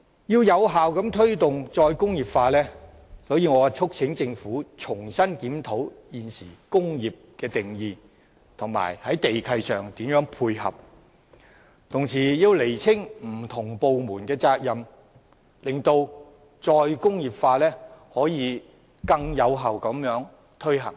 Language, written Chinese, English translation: Cantonese, 要有效推動"再工業化"，我促請政府重新檢討現行的"工業"定義，並在地契上作出配合，同時亦要釐清不同部門的責任，使"再工業化"可以更有效地推行。, In order to promote re - industrialization effectively I urge the Government to review afresh the current definition of industry make complementary arrangements in respect of land leases and clarify the responsibilities of different departments . The implementation of re - industrialization can then be more effective